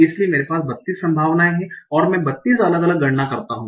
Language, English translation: Hindi, So I have 32 possibilities and I compute 32 different